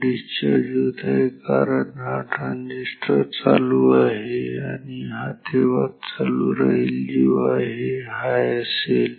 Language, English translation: Marathi, It is discharging only because this transistor is on and it is on only when this is high